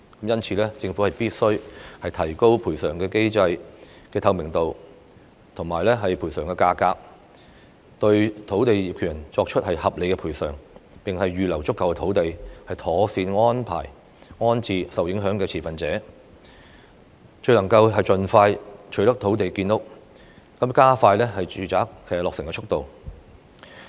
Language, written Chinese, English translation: Cantonese, 因此，政府必須提高賠償機制的透明度和賠償費用，對土地業權人作出合理的賠償；並預留足夠土地，妥善安排及安置受影響的持份者，這樣才能夠盡快取得土地建屋，加快住宅落成的速度。, Therefore the transparency of the compensation mechanism and the compensation rate must be increased in order to provide reasonable compensation to land owners; sufficient land should also be reserved for proper rehousing arrangement for the affected stakeholders so as to acquire land for housing promptly and speed up the completion of residential developments